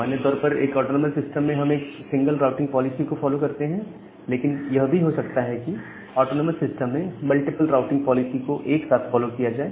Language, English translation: Hindi, So, in general inside an autonomous system we follow a single routing policy, but well there can be autonomous system where multiple routing policies are followed altogether